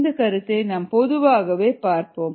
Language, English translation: Tamil, let us generalized that concept